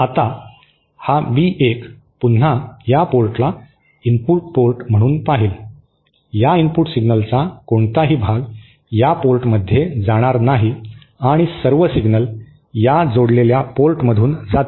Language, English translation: Marathi, Now this B1 will again see this port as the input port, no part of this input signal here will go to this port and all the signal will pass through this coupled port